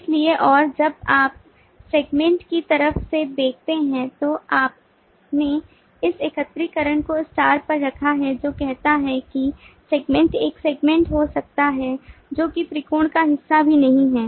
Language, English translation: Hindi, so when you look at from the segment side, you put this aggregation to be at star, which says that a segment could be by itself also not a part of the triangle